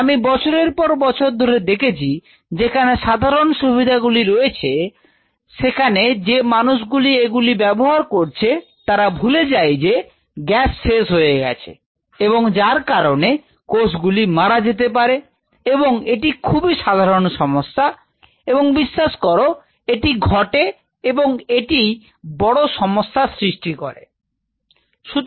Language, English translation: Bengali, I have seen over the years in common facilities you have a gas facility and you know people who are using it forget to figure out that gas is depleted and the cells die these are very common day to day problem and trust me this happens and it creates it creates leads to